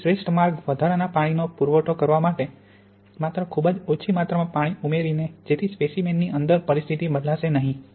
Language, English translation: Gujarati, So the best way to supply extra water is just by having a very small amount of water which won't change the situation inside the sample